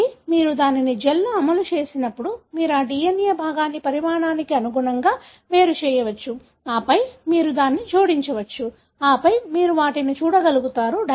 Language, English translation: Telugu, So, when you run it in a gel, so you can separate that DNA fragment according to the size and then you can add the dye and then you will be able to see them